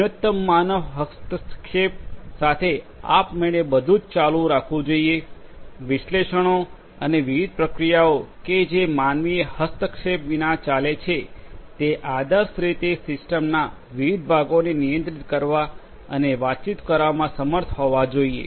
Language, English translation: Gujarati, Automatic with minimum human intervention everything should continue, the analytics and the different processes that get executed without any human intervention ideally should be able to control and communicate with the different parts of the system